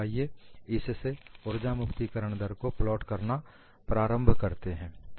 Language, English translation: Hindi, So, let us start plotting the energy release rate from that